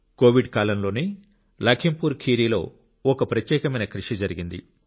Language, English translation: Telugu, A unique initiative has taken place in LakhimpurKheri during the period of COVID itself